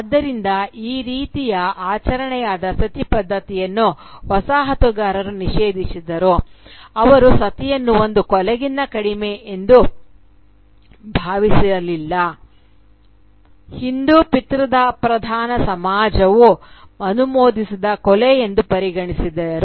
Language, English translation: Kannada, So the colonisers, who banned the right of Sati, this sort of ritual of Sati, they regarded Sati as nothing less than a murder, a murder that was sanctioned by the Hindu patriarchal society